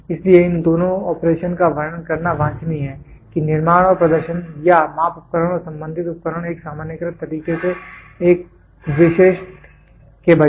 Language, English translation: Hindi, So, it is desirable to describe both the operation how the manufacture and the performance or the measuring instrument and associated equipment in a generalized way rather than a specific